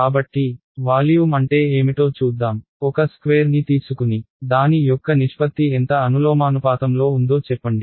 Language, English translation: Telugu, So, let us look at what is the volume of a let us say take a sphere what is the volume of a sphere proportional to